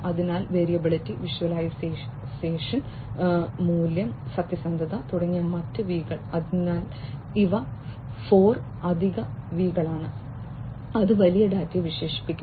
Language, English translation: Malayalam, So, other v’s like variability, visualization, value, veracity, so these are 4 additional V’s that will also characterize big data